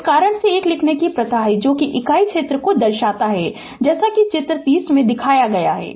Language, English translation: Hindi, Due to this reason, it is customary to write 1, that is denoting unit area as in figure 30 I showed you